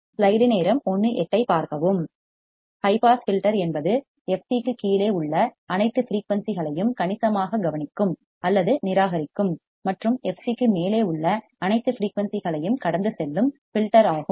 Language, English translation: Tamil, A high pass filter is a filter that significantly attenuates or rejects all the frequencies below f c below f c and passes all frequencies above f c